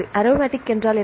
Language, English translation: Tamil, And the aromatic